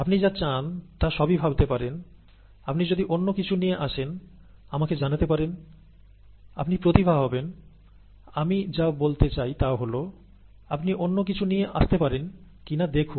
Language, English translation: Bengali, You can think about it, all all you want, if you can come up with something else, please let me know, you would be a genius or , I mean, see whether you can come up with something else